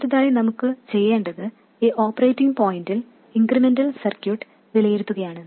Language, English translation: Malayalam, Next what we have to do is at this operating point we have to evaluate the incremental circuit